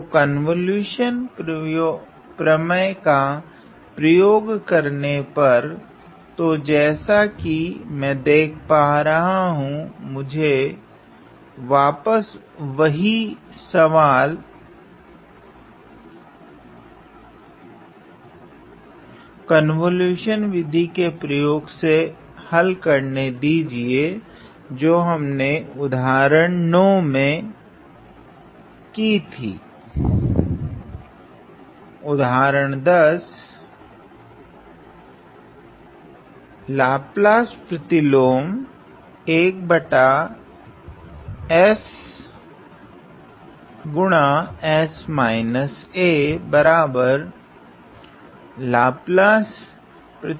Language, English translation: Hindi, So, using convolution theorem ok; so what I see is that again let me try to solve the same problem that I did in example 9 using the method of convolution